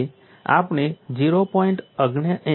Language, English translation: Gujarati, So, at 0